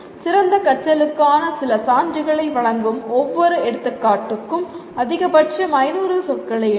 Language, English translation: Tamil, Write maximum 500 words for each example giving some evidence of better learning